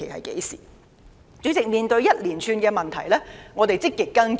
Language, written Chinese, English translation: Cantonese, 主席，面對沙中線項目一連串的問題，我們積極跟進。, President in the face of a series of problems in the SCL Project we have been actively following them up